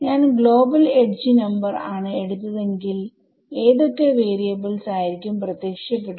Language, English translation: Malayalam, Supposing I had taken global edge number 1 how many variables, what all variables would have appeared